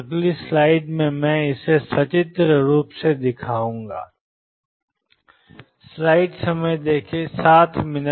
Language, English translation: Hindi, Let me show this pictorially in the next slide